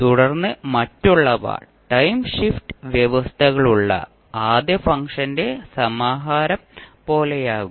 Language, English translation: Malayalam, And then others will be like compilation of the first function with time shift conditions